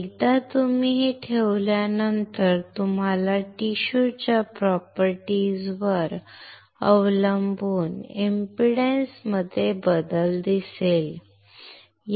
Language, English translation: Marathi, Once you place it you will see the change in impedance depending on the tissue property